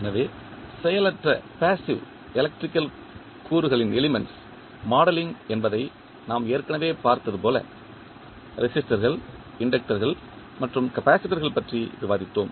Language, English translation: Tamil, So, as we have already seen that modeling of passive electrical elements we have discussed resistors, inductors and capacitors